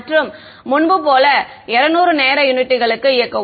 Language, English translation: Tamil, And as before run it for 200 time units